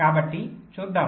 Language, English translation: Telugu, so let see